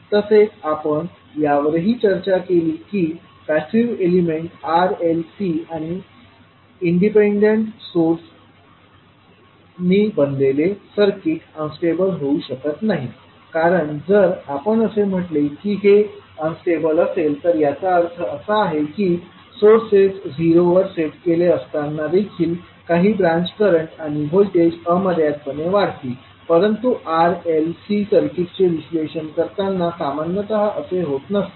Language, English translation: Marathi, Now we also discussed that, the circuits which are made up of passive elements that is R, L, C elements and independent sources will not be unstable because if we say that these can be unstable that means that there would be some branch currents or voltages which would grow indefinitely with sources set to zero, which generally is not the case, when we analyze the R, L, C circuits